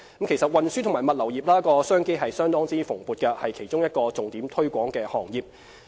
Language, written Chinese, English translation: Cantonese, 其實，運輸及物流業商機相當蓬勃，是其中一個獲重點推廣的行業。, Actually business opportunities abound in the transport and logistics industry which is one of the priority sectors we have kept promoting